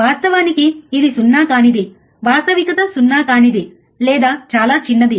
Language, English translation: Telugu, In reality, it is non zero is reality is non zero or extremely small